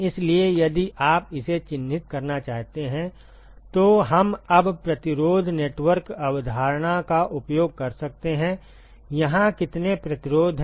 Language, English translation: Hindi, So, if you want to characterize this we can now use the resistance network concept, how many resistances are there here